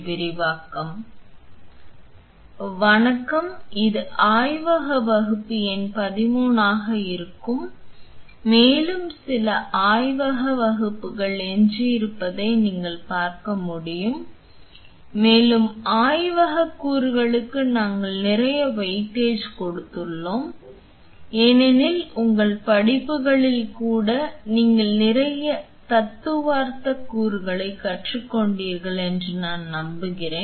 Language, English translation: Tamil, Hi, this will be the lab class number 13 and like you can see there are few more lab class left and we have given a lot of weightage on the laboratory component because I am sure that you have learned lot of theoretical components even in your courses right